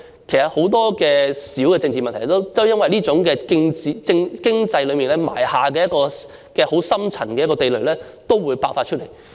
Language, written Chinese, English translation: Cantonese, 其實，很多小的政治問題都會因此而在經濟方面埋下一個深層的地雷，遲早都會爆發出來。, Hence many minor political problems will add up to become a landmine buried deep in the economy which is set to explode sooner or later